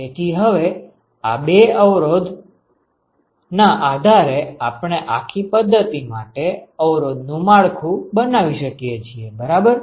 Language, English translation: Gujarati, So, now based on these two resistances, we can now construct the resistance network for the whole system ok